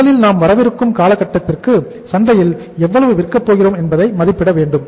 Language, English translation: Tamil, First you have to estimate how much you are going to sell in the market in the period to come